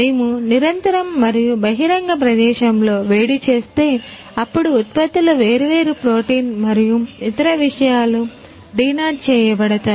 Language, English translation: Telugu, Right If we heat continuously and in an open air, then the products different protein and other things are denatured